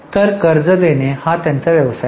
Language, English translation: Marathi, So, giving loan is their business